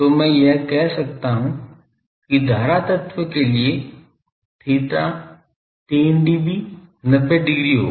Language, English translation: Hindi, So, I can say that for current element theta 3 dB be will be 90 degree